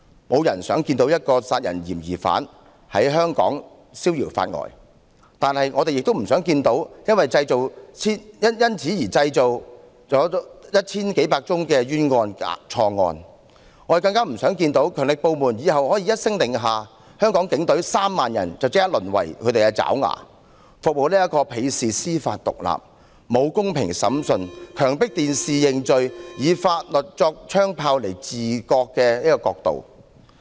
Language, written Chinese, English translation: Cantonese, 沒有人想看到一個殺人疑犯在香港消遙法外，但我們也不想看到因修例而製造千百宗冤假錯案，更不想看到強力部門日後一聲令下，香港警隊3萬人便立即淪為他們的爪牙，服務這個鄙視司法獨立、沒有公平審訊、強迫在電視前認罪，並以法律作槍炮來治國的國度。, No one wants to see a homicide suspect escaping prosecution in Hong Kong but we do not want to see the emergence of thousands of unjust false or wrongs cases as a result of the legislative amendment either . Nor do we want to see that in the future once an order is given our 300 000 policemen from the Hong Kong Police Force will be reduced to minions of the powerful agencies and have to serve a country that despises judicial independence does not have fair trial forces people to plead guilty in front of the television and uses laws as guns to govern the country